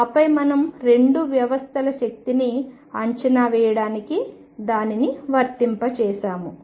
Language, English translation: Telugu, And then we applied it to estimate energies of 2 systems